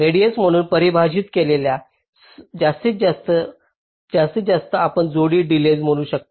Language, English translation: Marathi, now the maximum of this that is defined as the radius maximum, you can say pair wise delay